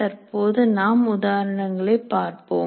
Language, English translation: Tamil, We'll presently see the example